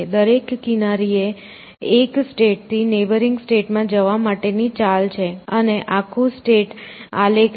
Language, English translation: Gujarati, So, every edge is the move from one state to a neighboring state and the whole state is a graph